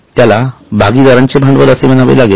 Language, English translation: Marathi, It will be called as a partner's capital